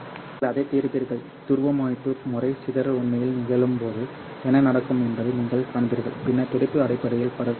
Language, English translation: Tamil, You will be solving that and you can see what will happen when the polarization mode dispersion actually occurs and then the pulse basically spreads out